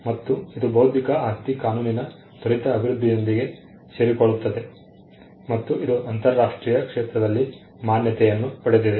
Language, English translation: Kannada, And this coincides with the rapid development of intellectual property law, and it is a recognition in the international sphere